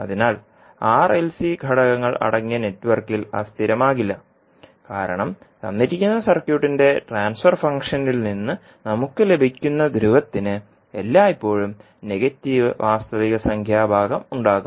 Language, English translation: Malayalam, So that means that, in the network which contains R, L and C component will not be unstable because the pole which we get from the given transfer function of circuit will have always negative real part